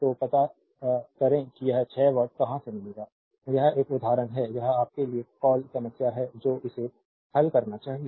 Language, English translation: Hindi, So, you find out from where you will get this 6 watt, this is an example this is a your what you call problem for you should solve this one right